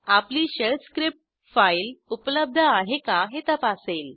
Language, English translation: Marathi, Our shell script will check whether the file exists